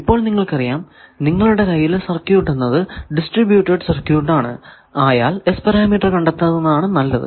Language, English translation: Malayalam, So, now you know that if you have any circuit, if it is distributed circuit it is better to find its S parameter because actual transmission is happening through waves